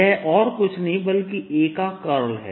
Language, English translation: Hindi, this is nothing but curl of a